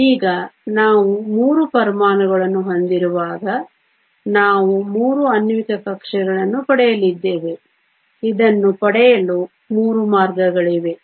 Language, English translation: Kannada, Now, when we have 3 atoms we are going to get 3 molecular orbitals, there are 3 ways of obtaining this molecular orbitals